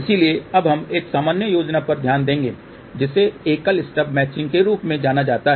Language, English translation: Hindi, So, now we look into the another scheme which is known as single stub matching